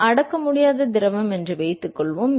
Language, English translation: Tamil, Assume that it is an incompressible fluid